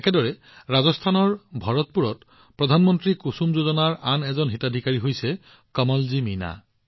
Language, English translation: Assamese, Similarly, in Bharatpur, Rajasthan, another beneficiary farmer of 'KusumYojana' is Kamalji Meena